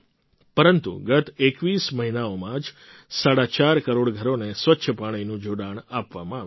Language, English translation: Gujarati, However, just in the last 21 months, four and a half crore houses have been given clean water connections